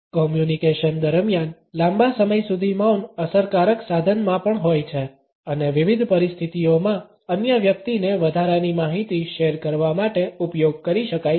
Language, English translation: Gujarati, Longer silencers during communication are also in effective tool and in different situations can be used to get the other person to share additional information